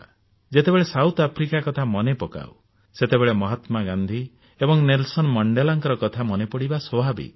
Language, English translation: Odia, When we think of South Africa, it is very natural to remember Mahatma Gandhi and Nelson Mandela